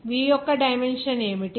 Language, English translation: Telugu, What is the dimension of v